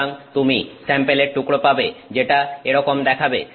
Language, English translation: Bengali, So, you will get sample pieces which look like that